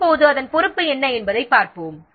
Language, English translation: Tamil, Now let's see the responsibilities whose responsibility is what